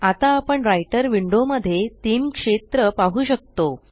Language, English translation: Marathi, Now we can see three areas in the Writer window